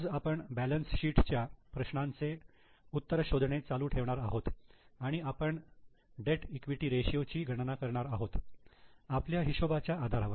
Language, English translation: Marathi, Today we are going to continue with our solution of balance sheet and we will try to calculate debt equity ratio based on our calculations